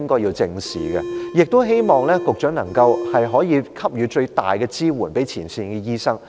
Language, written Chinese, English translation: Cantonese, 同時，我亦希望局長能夠給予前線醫生最大的支援。, Meanwhile I also hope that the Secretary can give her greatest support to frontline doctors